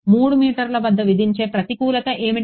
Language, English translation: Telugu, What is the disadvantage of imposing at a 3 meters